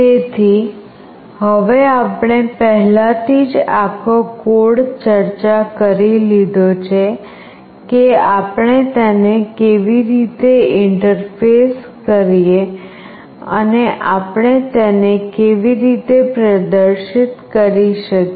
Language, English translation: Gujarati, So now, that I have already discussed the whole code how do we interface it and how do we display it